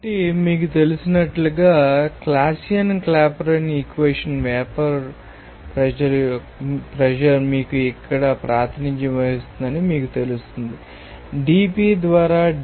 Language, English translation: Telugu, So, as for you know, Clausius Clapeyron equation the vapour pressure will be you know that represented by this here dP* by dT